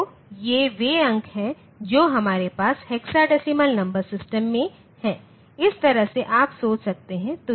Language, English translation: Hindi, So, these are the digits that we have in the hexadecimal number system, this way you can think